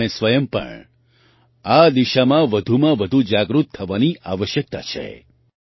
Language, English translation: Gujarati, We ourselves also need to be more and more aware in this direction